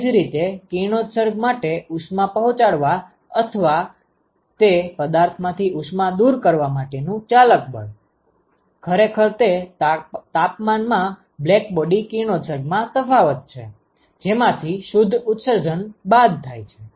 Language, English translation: Gujarati, Similarly for radiation the driving force for supplying heat or removing heat from that object is actually the difference in the blackbody radiation at that temperature minus the net emission